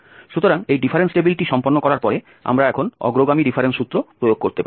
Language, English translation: Bengali, So, having done this difference table, we can apply now the forward difference formula, for instance